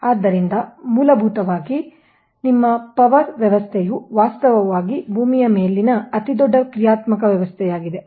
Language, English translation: Kannada, so basically that your power system actually is the largest man made, largest dynamic system on the earth